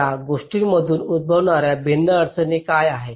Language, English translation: Marathi, what are the different constraints that arise out of these things